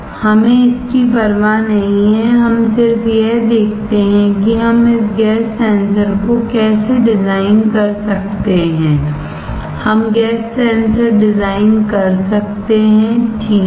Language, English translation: Hindi, We do not care this one, we just see that how we can design this gas sensor; we have can design the gas sensor, alright